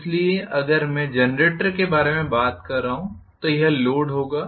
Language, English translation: Hindi, So, if I am talking about the generator this will be the load